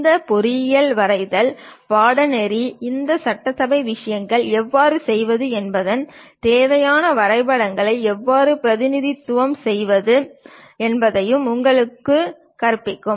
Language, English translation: Tamil, And our engineering drawing course teach you how to do this assembly things and also how to represent basic drawings